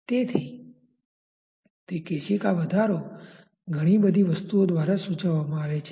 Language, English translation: Gujarati, So, that capillary rise is dictated by many things